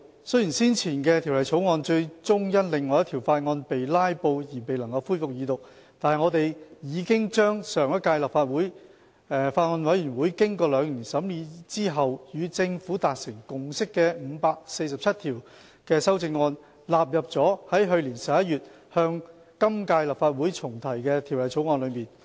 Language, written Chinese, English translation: Cantonese, 雖然先前的《條例草案》最終因另一項法案被"拉布"而未能恢復二讀，但我們已把上屆立法會法案委員會經兩年審議後與政府達成共識的547項修正案，納入了在去年11月向今屆立法會重提的《條例草案》中。, Although the Second Reading of the Former Bill could not be resumed due to the filibustering of Members on another bill we have incorporated the 547 Committee stage amendments CSAs agreed between the Former Bills Committee and the Government after two years of scrutiny into the Private Columbaria Bill the Bill re - introduced into the current Legislative Council last November